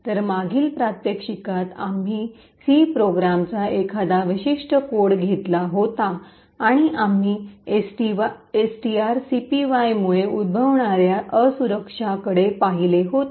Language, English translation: Marathi, So, in the previous demonstration we had taken a particular code a program in C and we had actually looked at a vulnerability that was occurring due to string copy